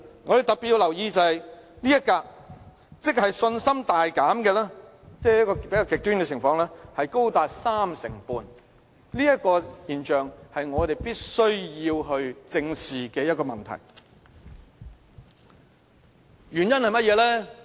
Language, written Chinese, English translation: Cantonese, 我們特別要留意這一格，即信心大減這比較極端的情況高達 35%， 這種現象是我們必須正視的問題。, We have to pay particular attention to this pie chart slice for as much as 35 % of the respondents are in this extreme scenario of having a significant loss of confidence . We must face up to this problem squarely